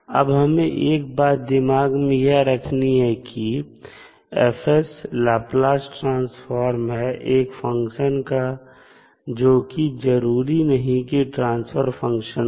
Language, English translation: Hindi, Now, we have to keep in mind that F s is Laplace transform of one function which cannot necessarily be a transfer function of the function F